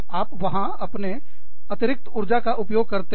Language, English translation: Hindi, You expend, the extra energy, that is there